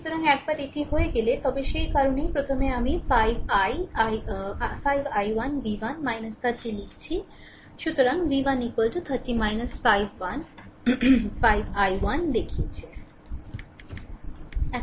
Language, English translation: Bengali, So, once it is done, then what you do that is why first I am writing 5 i 1 v 1 minus 30, so v 1 is equal to 30 minus 5 1, I showed you